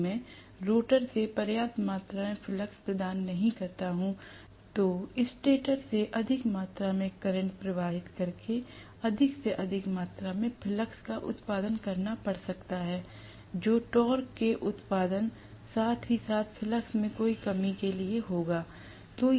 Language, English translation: Hindi, If I do not provide sufficient amount of flux from the rotor, it might have to produce excess or more amount of flux by drawing more amount of current from the stator, which will fend for production of torque, as well as any shortcoming in the flux